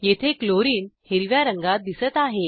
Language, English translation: Marathi, Chlorine is seen in green color here